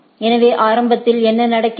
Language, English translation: Tamil, Why, what is happening